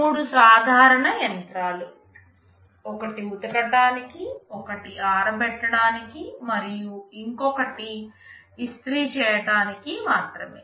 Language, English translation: Telugu, Three simple machines one which can only wash, one can only dry, and one can only iron